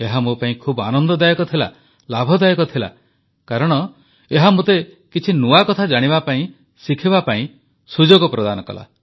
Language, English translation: Odia, It was a very useful and pleasant experience for me, because in a way it became an opportunity for me to know and learn something new